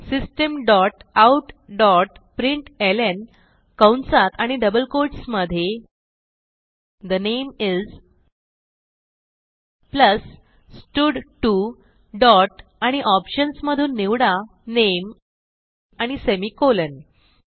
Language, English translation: Marathi, System dot out dot println within brackets and double quotes The name is, plus stud2 dot select name and semicolon